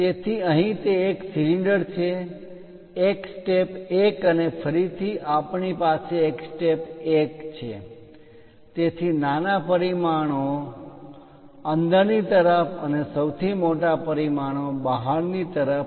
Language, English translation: Gujarati, So, here it is one cylinder, a step 1 and again we have a step 1; So, smallest dimensions inside and largest dimensions outside